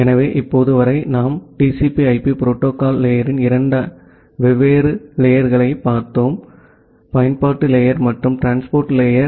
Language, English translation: Tamil, So, till now in the course we have looked into 2 different layers of the TCP/IP protocol stack; the application layer and the transport layer